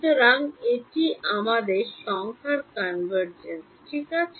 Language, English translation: Bengali, So, that is our numerical convergence right